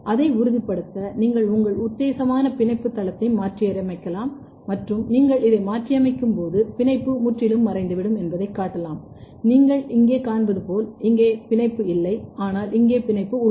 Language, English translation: Tamil, To confirm it, you can mutate your binding site putative binding site and show that when you are mutating this the binding is totally disappearing as you can see here there is no binding, but here there is binding